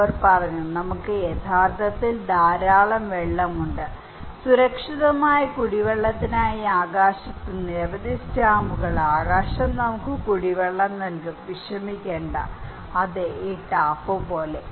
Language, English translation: Malayalam, They said hey, come on we have plenty of water actually, numerous stamps in the sky for safe drinking water, the sky will provide us drinking water and do not worry, yes like this tap